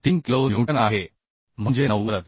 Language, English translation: Marathi, 3 kilonewton that means 90